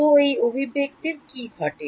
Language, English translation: Bengali, So, what happens to this expression